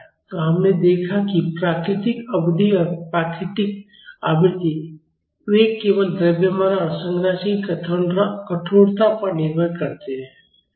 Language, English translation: Hindi, So, we have seen that the natural period and natural frequency, they depend only upon the mass and stiffness of the structure